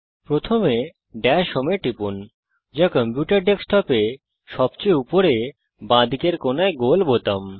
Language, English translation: Bengali, First, click Dash Home, which is the round button, on the top left corner of your computer desktop